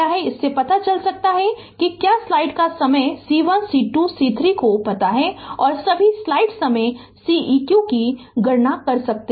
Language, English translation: Hindi, So, from that we can find out if you know C 1 C 2 C 3 and all you can calculate C eq right